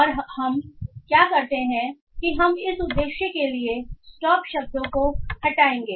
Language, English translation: Hindi, And now what we do is that we will also do stop word removal